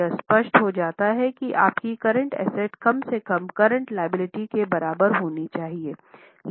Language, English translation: Hindi, It becomes obvious that your current asset should be at least equal to current liabilities